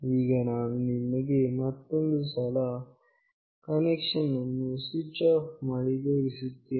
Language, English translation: Kannada, Now, I will show you once more by switching off the connection